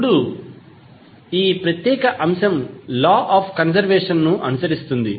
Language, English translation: Telugu, Now, this particular aspect will follow the law of conservation